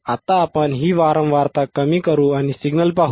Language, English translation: Marathi, Now we will decrease this frequency, we will decrease the frequency and look at the signal